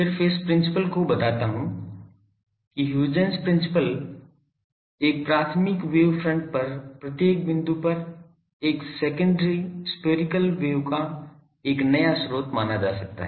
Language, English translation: Hindi, The I just state the principle Huygens principle is each point on a primary wave front, can be considered to be a new source of a secondary spherical wave